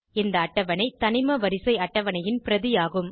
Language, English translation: Tamil, This table is a replica of Modern Periodic table